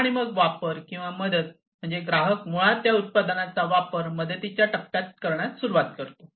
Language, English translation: Marathi, And then use or support is basically the customer basically starts to use the product in the user support phase